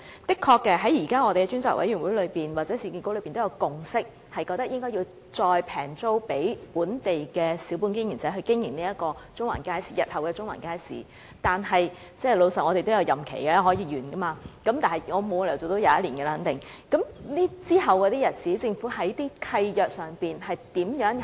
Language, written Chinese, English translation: Cantonese, 在我們現時的專責委員會或市建局確實已有共識，認為應以廉宜租金租給本地小本經營者經營日後的中環街市，但老實說，我們也有任期，任期會完結，我肯定沒有理由可以做21年，那麼在其後的日子，政府在契約上會怎樣做？, We have reached a consensus in the Ad Hoc Committee or at URA and we hold that the shops in the future Central Market Building should be leased to local small business operators at low rents . But frankly we have a term of office and I certainly cannot be a member of the Ad Hoc Committee for 21 years and my term will end . So how is the Government going to implement the treaty in future?